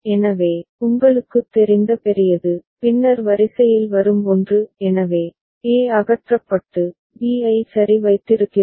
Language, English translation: Tamil, So, the larger you know, the one that comes in later in the order; so, e has been removed and b has been retained ok